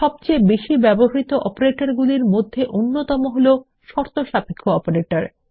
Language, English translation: Bengali, One of the most commonly used operator is the Conditional Operator